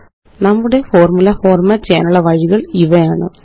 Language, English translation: Malayalam, So these are the ways we can format our formulae